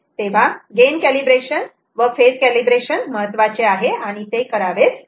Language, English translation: Marathi, so gain calibration, phase calibration are important and they have to be done